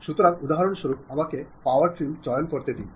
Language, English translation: Bengali, So, for example, let me pick power trim